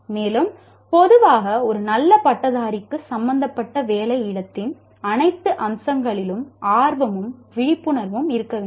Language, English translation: Tamil, And generally a good graduate should have interest and awareness in all facets of the workspace that you are involved